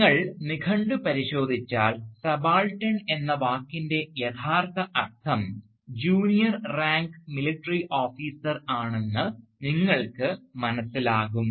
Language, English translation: Malayalam, And, in this case, if you go to a dictionary, you will find that the original meaning of the term subaltern was a junior ranking military officer